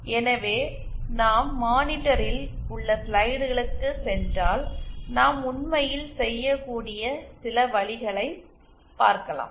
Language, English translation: Tamil, So, if we go to the slides on the monitor, these are some of the ways we can do it actually